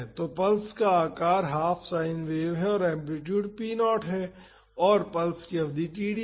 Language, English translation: Hindi, So, the shape of the pulse is half sine wave and the amplitude is p naught and the duration of the pulse is td